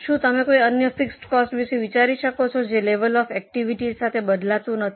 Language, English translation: Gujarati, Do you think of any other fixed cost which does not change with level of activity